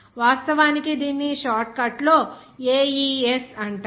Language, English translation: Telugu, It is actually its short form actually it is called AES